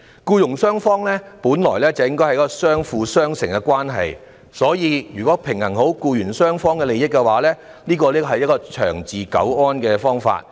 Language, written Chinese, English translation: Cantonese, 僱傭之間本來是相輔相成的關係，所以平衡僱傭雙方的利益才是長治久安的良策。, Given that there is an established complementary relationship between employers and employees the best way to achieve long - term stability is to balance the interests of the two sides